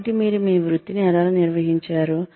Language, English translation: Telugu, So, you have managed your career